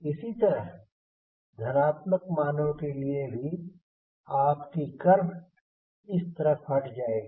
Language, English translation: Hindi, similarly, for positive value, your curve will shift in this direction